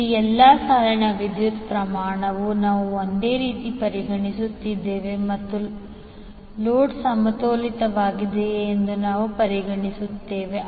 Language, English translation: Kannada, Here the amount that is magnitude of all line currents will be we are considering as same and because we are considering that the load is balanced